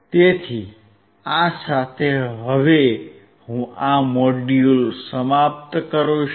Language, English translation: Gujarati, So, with that, I wind up this module